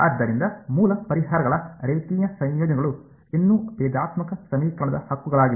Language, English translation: Kannada, So, linear combinations of the original solutions are still solutions to the differential equation right